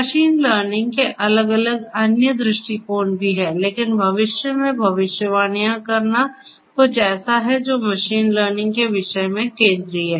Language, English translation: Hindi, There are different different other views of machine learning as well, but making predictions in the future is something that you know that that is something that is central to the theme of machine learning